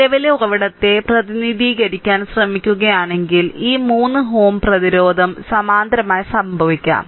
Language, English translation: Malayalam, And then if you try to if you try to represented by current source, then what will happen these 3 ohm resistance will be in parallel